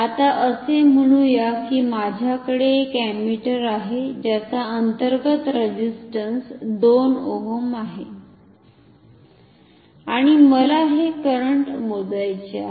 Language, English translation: Marathi, Now, say I have an ammeter which has his internal resistance of 2 ohm for example, and I want to measure this current